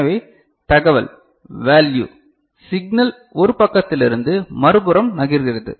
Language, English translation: Tamil, So, information you know value signal moves from one side to the other side ok